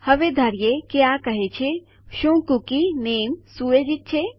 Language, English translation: Gujarati, Now presuming this says is the cookie set name